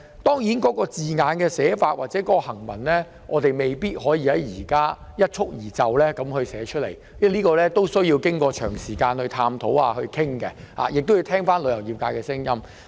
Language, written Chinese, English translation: Cantonese, 當然，有關指引或守則的措辭，我們現在未必可以一蹴而就舉例，必須經過長時間探討和討論，亦需聽取旅遊業界的意見。, Of course we may not possibly cite immediately an example of the wording of the guidelines or codes now . A long period of deliberation and discussion is required and the views of the travel trade must be heard